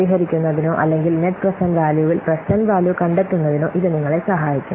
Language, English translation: Malayalam, This will help you for solving or for finding out the present values and the next present values